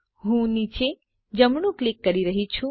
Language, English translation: Gujarati, I am clicking to the bottom right